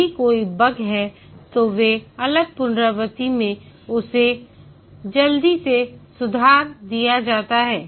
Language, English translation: Hindi, If there are bugs, these are fixed quickly in the next iteration